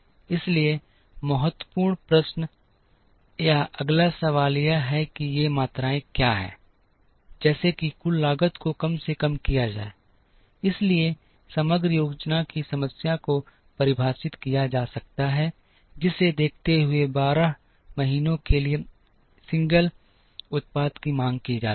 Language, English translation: Hindi, So, the important question or the next question is what are these quantities, such that the total cost is minimized, so the aggregate planning problem can be defined as, given that demand for the single product for 12 months